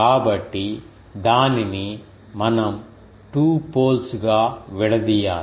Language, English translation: Telugu, So, that is why we need to break it into the 2 poles